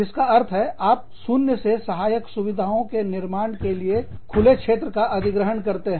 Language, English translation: Hindi, Which means, you acquire an open field, in order to build the subsidiary facilities, from scratch